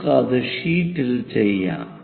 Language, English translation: Malayalam, Let us do that on the sheet